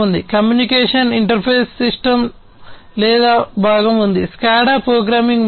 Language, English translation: Telugu, There is a communication interface system or component, the SCADA programming is another one